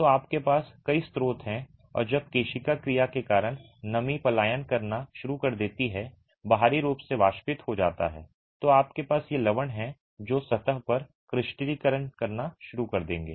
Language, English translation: Hindi, So, you have several sources and when moisture starts migrating due to capillary action comes to the exterior to get evaporated, you have these salts that will start crystallizing on the surface